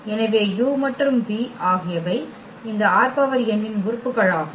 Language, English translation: Tamil, So, u and v those are the elements from this R n